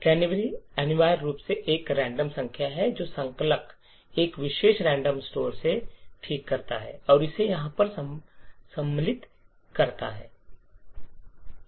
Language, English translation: Hindi, Now a canary is essentially a random number which the compiler fix from a particular random store and inserts it over here